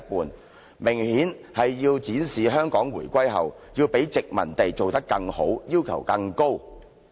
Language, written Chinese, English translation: Cantonese, 這明顯是要展示香港回歸後，要較殖民地做得更好，要求更高。, Evidently they wanted to show that with a higher threshold the post - reunification Hong Kong would do better than the colonial Hong Kong